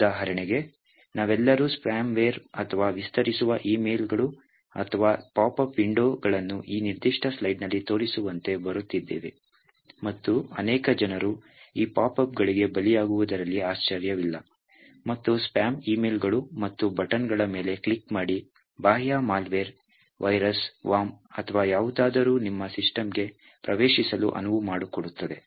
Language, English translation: Kannada, For example, all of us would have got some form of spam ware or expand emails or pop up windows that actually come up like as shown in this particular a slide and it is not surprising that many people actually fall prey to these pop ups and spam emails and would click on the buttons, pressing here as a result of this, it could trigger an external malware, virus or worm or anything to enter into your system